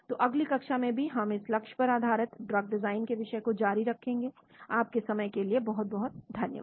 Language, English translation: Hindi, So we will continue more on this topic of target based drug design in the next class as well, thank you very much for your time